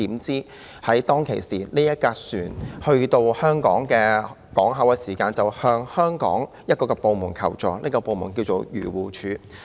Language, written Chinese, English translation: Cantonese, 怎料船隻來到香港港口，船員就向香港的一個部門求助，這就是漁護署。, However once the ship berthed at Hong Kong its crew sought the assistance of a government department in Hong Kong that is AFCD